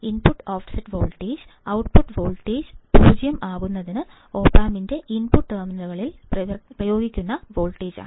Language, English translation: Malayalam, The input offset voltage, is the voltage that must be applied to the input terminals of the opamp to null the output voltage to make the output voltage 0